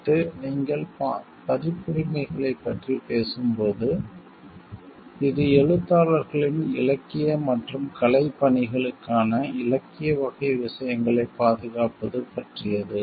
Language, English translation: Tamil, Next when you talking of the copyrights: it is about the protection of the literary type of things, like which for the authors for their literary and artistic work